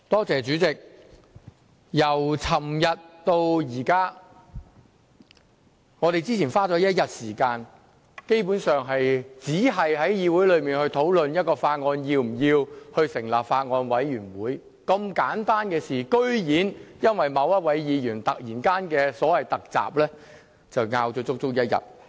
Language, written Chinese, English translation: Cantonese, 主席，由昨天到現在，我們花了一天時間，基本上只在議會內討論是否要就一項法案成立法案委員會，本來是如此簡單的事情，但居然因為某位議員"突襲"，而爭拗了足足一天。, President since yesterday we have spent one whole day on discussing in this Council whether we should set up a Bills Committee on a bill . It is basically a simple item but we have to argue over it for a whole day just because of a Members surprise attack